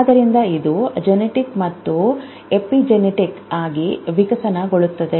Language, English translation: Kannada, So, it evolves in genetic and epigenetic